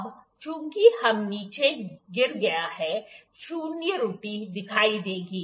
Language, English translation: Hindi, Ok, now so, be since it is fallen down we will see the zero error